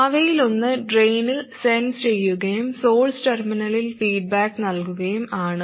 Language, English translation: Malayalam, One of them is to sense at the drain and feed back to the source terminal